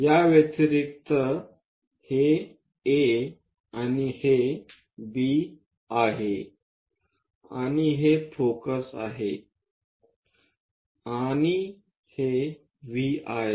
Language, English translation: Marathi, And this one as A and this one as B, and this is focus, and this is V